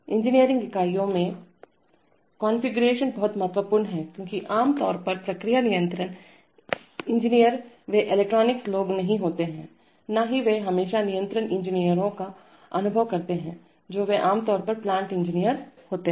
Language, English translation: Hindi, Configuration in engineering units is very important because generally the process control engineers they are not electronics people, neither they always experience control engineers they are generally plant engineers